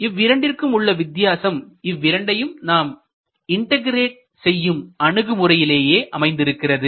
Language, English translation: Tamil, Now, the difference in approach comes in the concept by which we integrate these two